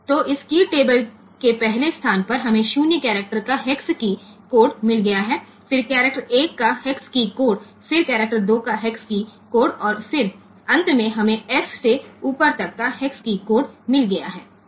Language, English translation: Hindi, So, in the first location of this key table we have got the hex key code of 0 the character 0, then the hex key code of character 1 then the hex key code of character 2, and then finally we have got since up to f is there in the hex key code in the hex key board